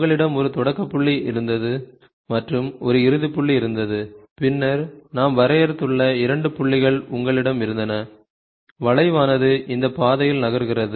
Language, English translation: Tamil, So, you had a start point, you had an end point then you had two points which we have designed which we have defined and then the curve moves along this, along this path